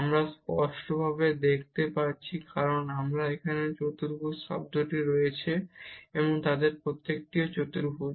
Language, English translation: Bengali, One can clearly see because we have this quadratic term there and each of them is also quadratic